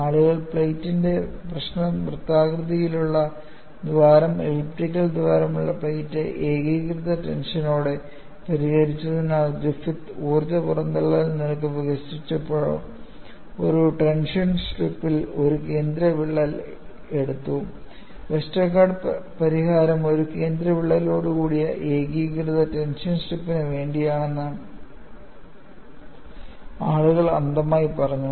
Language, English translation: Malayalam, jJust because people solved the problem of a plate with a circular hole, plate with an elliptical hole, with a uniaxial tension, then Griffith, when he developed the energy release rate, he took a central crack in a tension strip; people extrapolated blindly that Westergaard solution is also meant for a uni axial tension strip with a central crack; it is not so